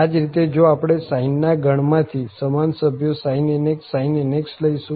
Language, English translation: Gujarati, Similarly, if we take the sin from the sine family the same member sin nx sin nx